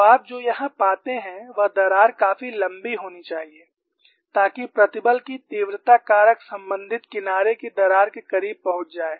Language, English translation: Hindi, So, what you find here is the crack should be long enough, so that stress intensity factor approaches that of the corresponding edge crack, this is one aspect of the story